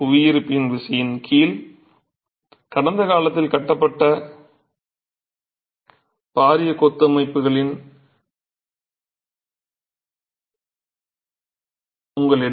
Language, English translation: Tamil, Under gravity you have massive masonry structures constructed in the past